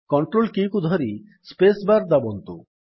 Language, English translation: Odia, Hold the CONTROL Key and hit the space bar